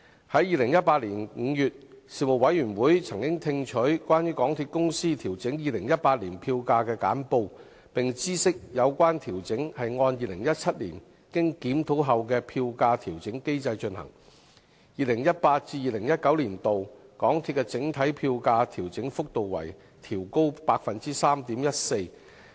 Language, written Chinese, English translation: Cantonese, 在2018年5月，事務委員會曾聽取關於港鐵公司調整2018年票價的簡報，並知悉有關調整是按2017年經檢討後的票價調整機制進行 ，2018-2019 年度港鐵的整體票價調整幅度為調高 3.14%。, In May 2018 the Panel was briefed on the fare adjustment of the MTR Corporation Limited MTRCL in 2018 which would be implemented in accordance with the Fare Adjustment Mechanism FAM as reviewed in 2017 . The overall fare adjustment rate for MTR fares in 2018 - 2019 came to 3.14 %